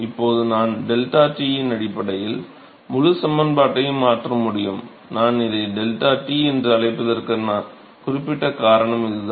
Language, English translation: Tamil, And now I can replace the whole expression in terms of d deltaT in terms of deltaT this is specific reason why I call it deltaT